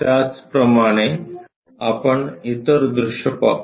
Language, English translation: Marathi, Similarly, let us look at other views